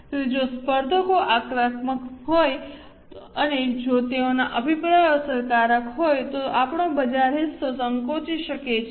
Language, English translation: Gujarati, So, if competitors are aggressive and if their campaigns are effective, our market share can shrink